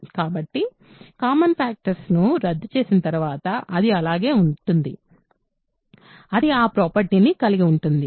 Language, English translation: Telugu, So, after cancelling common factors, it will remain, it will retain that property right